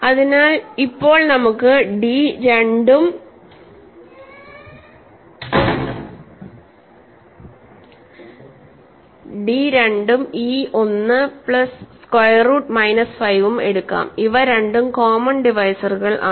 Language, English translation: Malayalam, So, now let us take d to be 2 and e to be 1 plus square root minus 5, these are both common divisors, ok